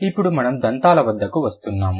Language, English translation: Telugu, Then we are coming to the dentals